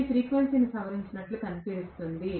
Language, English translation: Telugu, It looks as though it has modified the frequency